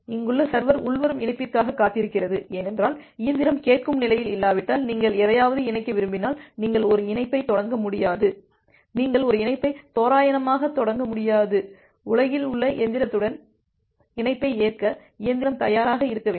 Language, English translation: Tamil, The server here it is waiting for an incoming connection because, see whenever you want to connect to something if the machine is not in the listen state, you will not be able to initiate a connection, you will not be able to randomly initiate a connection with any of the machine in the world, the machine need to be ready to accept the connection